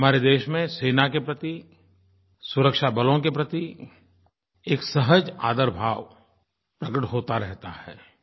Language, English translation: Hindi, In our country there is an innate respect for the military and the security forces